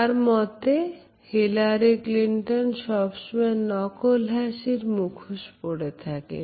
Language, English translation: Bengali, Hillary Clinton has a problem with smiling